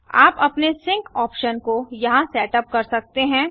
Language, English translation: Hindi, You can set your sync option here